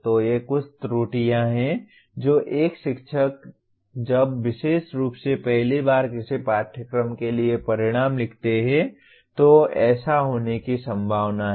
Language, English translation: Hindi, So these are some of the errors that a teacher when especially for the first time writing outcomes for a course are likely to commit